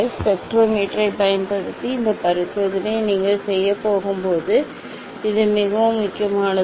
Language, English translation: Tamil, this is very important when you are going to do this experiment using the spectrometer